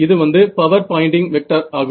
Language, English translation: Tamil, So, which way will the Poynting vector be